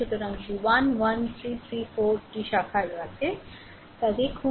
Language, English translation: Bengali, So, if you look into that 1 2 3 4 four branches are there